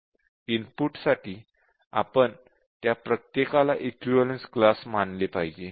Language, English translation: Marathi, Then we have to consider each of them as an equivalence class for the input